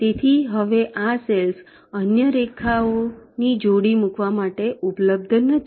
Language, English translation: Gujarati, so these cells are no longer available for laying out the other pairs of lines